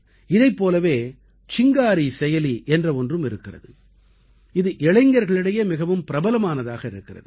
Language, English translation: Tamil, Similarly,Chingari App too is getting popular among the youth